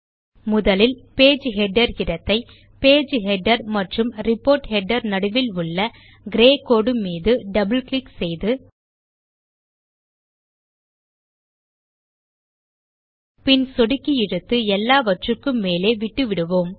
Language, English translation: Tamil, First let us reduce the Page Header area by double clicking on the grey line between the Page Header and Report Header And we will take it all the way to the top by using the click, drag and drop method